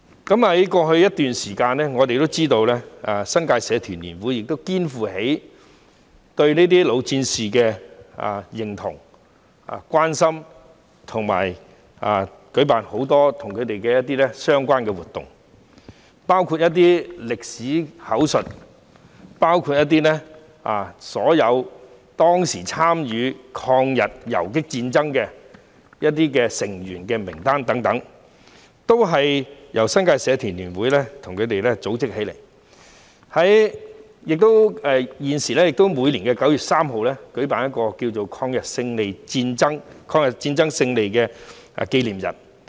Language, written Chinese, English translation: Cantonese, 在過去一段時間，我們知道新界社團聯會亦肩負起對老戰士的認同和關心，舉辦了很多相關的活動，包括一些歷史口述活動及編製當時參與抗日游擊戰爭的成員名單等，也是由新界社團聯會組織起來的，每年9月3日亦會與民政事務總署合辦抗日戰爭勝利紀念日。, We understand that the New Territories Association of Societies NTAS has also organized in the past many activities to show its recognition and care of the veterans including some oral history activities and compilation of a list of members who participated in the guerrilla war against the Japanese aggression . NTAS also jointly organizes the Victory Day of Chinese Peoples War of Resistance against Japanese Aggression with the Home Affairs Department on 3 September every year